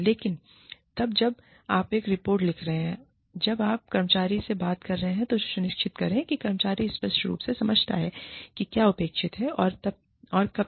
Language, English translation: Hindi, But then, when you are writing up a report, when you are talking to the employee, make sure, that the employee understands, clearly, what is expected, and by when